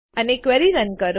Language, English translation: Gujarati, And run the query